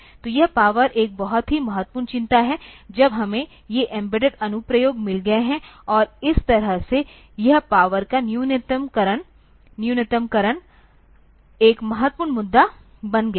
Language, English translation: Hindi, So, this power is a very important concern, when we have got these embedded applications and that way this power minimization becomes an important issue